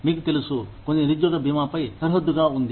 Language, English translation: Telugu, You know, some, it borders on unemployment insurance